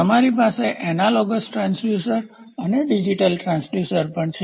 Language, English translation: Gujarati, So, you also have analogous transducer and digital transducer